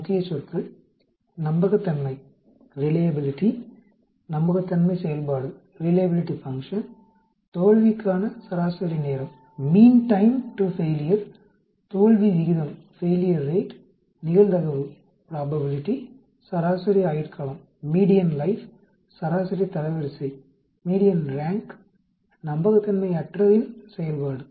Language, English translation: Tamil, Key Words: Reliability, reliability function, mean time to failure, failure rate, probability, median life, median rank, unreliability function